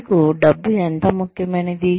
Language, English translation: Telugu, How important is money to you